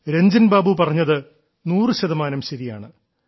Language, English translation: Malayalam, Ranjan babu is a hundred percent correct